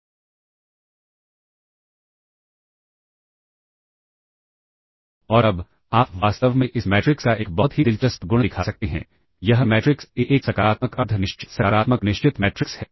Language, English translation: Hindi, And now you can show in a very interesting property of this matrix in fact, this matrix A is a positive semi definite positive definite matrix all right